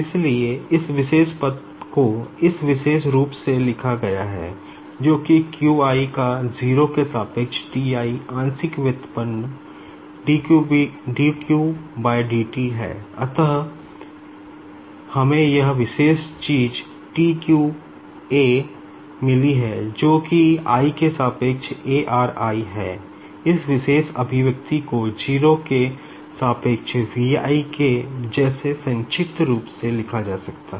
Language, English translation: Hindi, So, this particular term has been written in this particular form that is your partial derivative with respect to q j of T i with respect to 0, and dq/dt is nothing but q j dot and we have got this particular thing, that is, a r i with respect to i